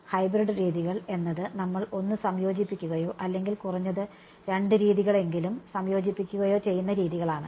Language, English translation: Malayalam, Hybrid methods are methods where we combine one or combine at least two methods